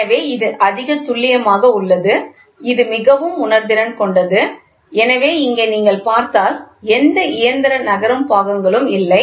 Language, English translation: Tamil, So, it is accuracy is high, it is highly sensitive the; so, here there is if you see here there is no mechanical moving parts